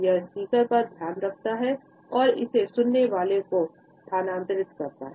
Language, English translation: Hindi, It takes the focus of this speaker and transfers it on to the listener